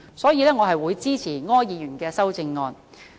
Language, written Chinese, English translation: Cantonese, 因此，我會支持柯議員的修正案。, Therefore I will support Mr ORs amendment